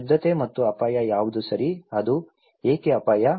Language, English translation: Kannada, What is purity and danger okay, why it is so danger